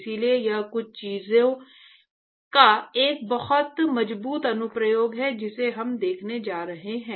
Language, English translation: Hindi, So, it is a very strong application of some of the things that we are going to see